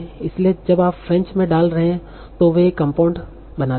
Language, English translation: Hindi, So when you are putting in French, they make a compound